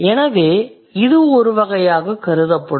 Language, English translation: Tamil, So, this would be considered as a type